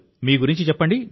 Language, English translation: Telugu, Tell me about yourself